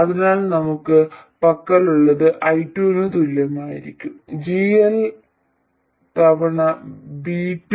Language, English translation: Malayalam, I2 will be equal to minus GL times V2